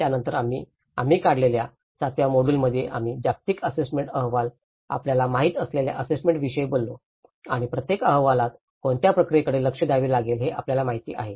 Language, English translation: Marathi, Then in the seventh module we brought about, we talked about the assessments you know the global assessment reports and you know what are the procedures one has to look at it, each report have